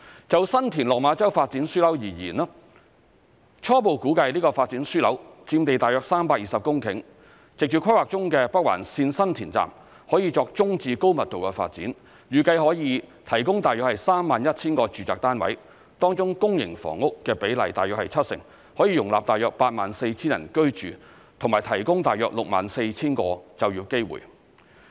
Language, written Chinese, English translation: Cantonese, 就新田/落馬洲發展樞紐而言，初步估計這個發展樞紐佔地約320公頃，藉着規劃中的北環綫新田站，可以作中至高密度的發展，預計可以提供約 31,000 個住宅單位，當中公營房屋的比例約為七成，可以容納約 84,000 人居住及提供約 64,000 個就業機會。, As far as the San TinLok Ma Chau Development Node is concerned the preliminary estimate is that it covers about 320 hectares . With San Tin Station of the Northern Link under planning the area can be used for medium to high density development and is expected to provide about 31 000 residential units . As the public housing ratio is about 70 % the development can accommodate about 84 000 residents and provide about 64 000 job opportunities